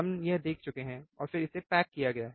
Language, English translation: Hindi, We have seen this and it is packaged